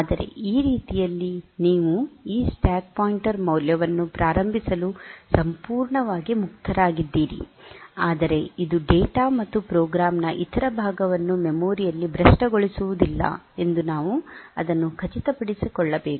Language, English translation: Kannada, But that way you are absolutely free to initialize this stack pointer value, but we have to make sure that it does not corrupt other part of the data and program in the memory